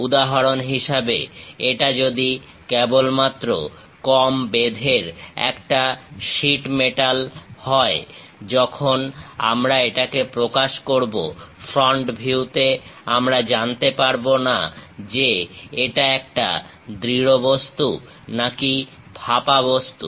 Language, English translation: Bengali, For example, if it is just a sheet metal, a very small thickness when we are representing it; at the front view, we do not know whether it is a solid object or it is a hollow one